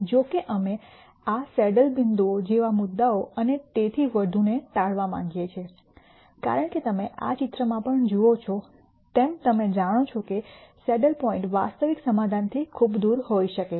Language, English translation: Gujarati, However, we want to avoid points like these saddle points and so on, because as you see even in this picture you know saddle points could be very far away from the actual solution